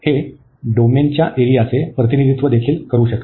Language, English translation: Marathi, It can also represent the area of the domain d